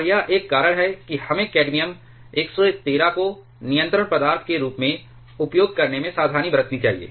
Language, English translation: Hindi, And that is one reason that we should be careful about using cadmium 113 as the control material